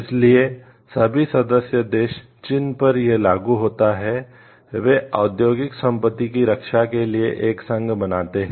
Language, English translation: Hindi, So, all the member countries to which the convention applies constitute union for protecting the industrial property